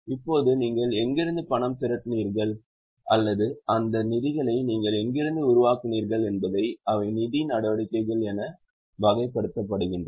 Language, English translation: Tamil, Now, from where you have raised the money or from where you have generated those finances, they are categorized as financing activities